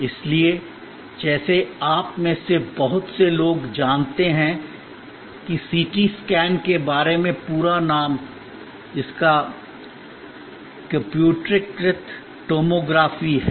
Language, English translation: Hindi, So, like very of few you know about CT scan the full name being computed tomography